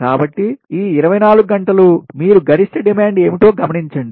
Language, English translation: Telugu, so this twenty four hours you take, note down what is the maximum demand